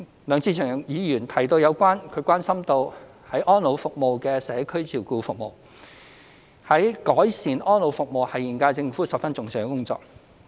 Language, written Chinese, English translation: Cantonese, 梁志祥議員關心安老服務的社區照顧服務，改善安老服務是現屆政府十分重視的工作。, Mr LEUNG Che - cheung expressed concern about community care services under elderly services . The current - term Government attaches great importance to improving elderly services